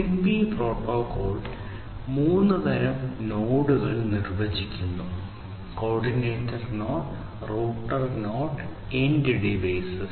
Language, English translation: Malayalam, So, the ZigBee protocol defines three types of nodes: the coordinator node, the router node and the end devices